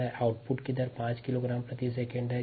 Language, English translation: Hindi, rate of output is five kilogram per second